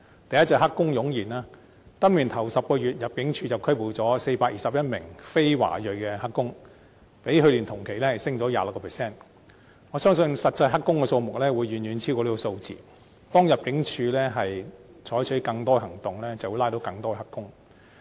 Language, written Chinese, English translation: Cantonese, 第一個是"黑工"湧現，今年首10個月，入境處拘捕了421名非華裔的"黑工"，較去年同期上升 26%， 我相信實際"黑工"數目，會遠遠超過這個數字，當入境處採取更多行動時，便會拘捕更多"黑工"。, In the first 10 months of this year the number of non - ethnic Chinese illegal workers arrested by the Immigration Department stood at 421 an increase of 26 % over the figure in the same period last year . I believe there is actually a far larger number of illegal workers . More illegal workers will be arrested when the Immigration Department steps up enforcement actions